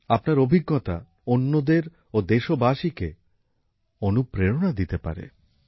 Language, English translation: Bengali, Your experiences can become an inspiration to many other countrymen